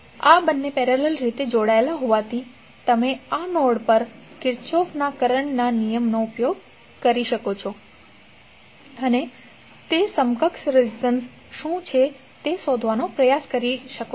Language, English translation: Gujarati, Since these two are connected in parallel, you can use the Kirchhoff’s current law at this node and try to find out what is the equivalent resistance